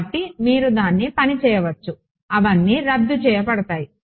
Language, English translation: Telugu, So, you can work it out they all cancel off